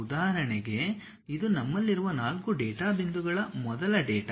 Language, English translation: Kannada, For example, this is the first data these are the 4 data points, we have